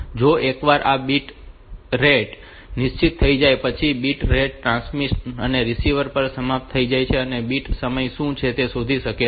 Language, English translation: Gujarati, So, once this ball bit rate is fixed bit rate is agreed upon the transmitter and receiver can find out what is the bit time